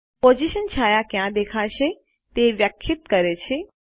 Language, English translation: Gujarati, Position defines where the shadow will appear